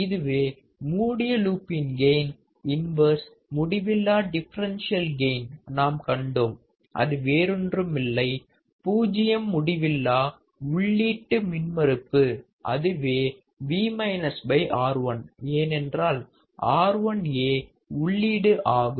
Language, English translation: Tamil, So, this is what the closed loop gain inverse infinite differential gain we have seen it is nothing but zero infinite input impedance, which is, Vminus divided by R1 right, because R 1 is the input